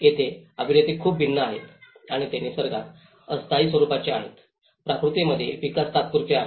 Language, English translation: Marathi, So here, the actors are very different and they are very much the temporal in nature the development is temporary in nature